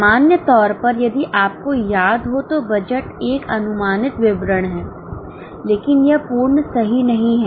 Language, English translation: Hindi, In general, if you remember, budget is an estimated statement